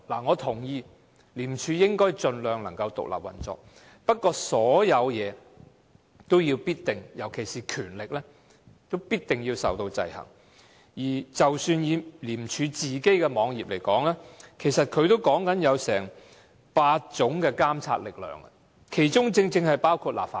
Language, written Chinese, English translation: Cantonese, 我認同廉署應該盡量獨立運作，不過，所有事情也必定要受到制衡，即使是廉署本身的網頁，也提及8種監察力量，其中正正包括立法會。, I agree that ICAC should operate as independently as possible but all things have to be subject to checks and balances . Even in the web page of ICAC eight monitoring forces are mentioned and the Legislative Council is precisely one of them